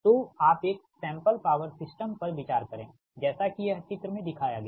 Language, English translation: Hindi, so you consider a sample power system as shown in figure this